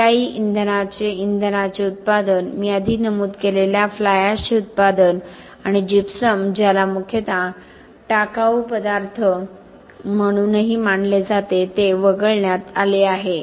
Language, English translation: Marathi, What is excluded are the production of alternative fuels, production of fly ash that I mentioned before and gypsum which is also considered mostly as a waste material